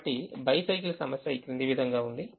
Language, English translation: Telugu, so the bicycle problem is as follows